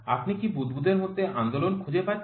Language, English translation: Bengali, Do you find the movement in the bubble